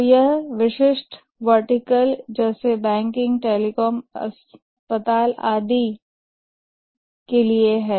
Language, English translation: Hindi, So this is for specific verticals like banking, telecom, hospital and so on